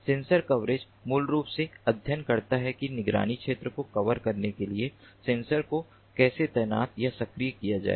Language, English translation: Hindi, sensor coverage basically studies how to deploy or activate sensors to cover the monitoring area